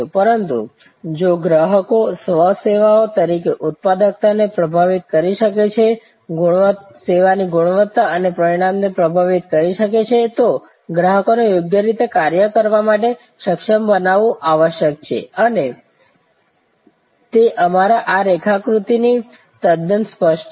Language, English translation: Gujarati, But, if the customers therefore, as service employees can influence the productivity, can influence the service quality and outcome, then customers must be made competent to do the function properly and that is quite clear from our this diagram as we have discussing